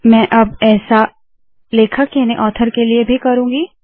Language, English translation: Hindi, Now I will do the same thing for author